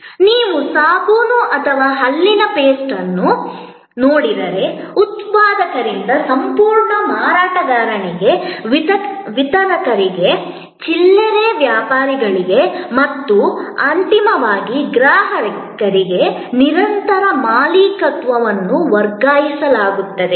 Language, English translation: Kannada, If you look at a soap or a tooth paste, there is a continuous transfer of ownership from the manufacturer to the whole seller to the distributor to the retailer and finally, to the consumer